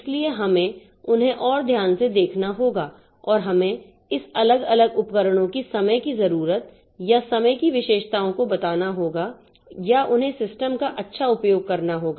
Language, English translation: Hindi, So, we have to look into them more carefully and we have to factor out the timing needed or the timing characteristics of this individual devices or to have good utilization of the system